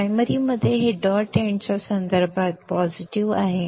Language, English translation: Marathi, In the primary this is positive with respect to the dot end